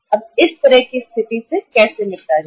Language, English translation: Hindi, Now how to deal with this kind of situation